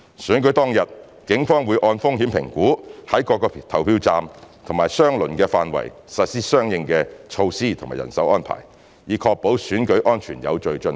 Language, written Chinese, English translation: Cantonese, 選舉當日，警方會按風險評估在各個投票站及相鄰範圍實施相應的措施及人手安排，以確保選舉安全有序進行。, On the polling day the Police will based on the risk assessments implement appropriate measures and make manpower arrangements in each polling station and its vicinity so as to enable the election to be conducted safely